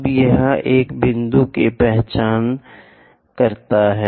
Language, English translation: Hindi, Now, let us identify a point something here